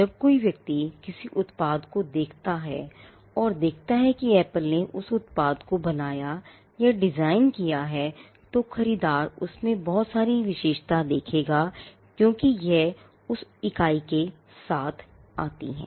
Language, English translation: Hindi, When a person looks at a product and sees that Apple has created or designed that product then, the buyer would attribute so many things because, it has come from that entity